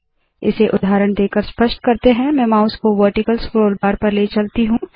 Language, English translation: Hindi, To illustrate this, let me take the mouse to the vertical scroll bar